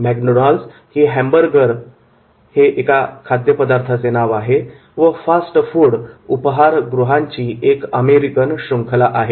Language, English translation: Marathi, McDonald's is an American hamburger and fast food restaurant chain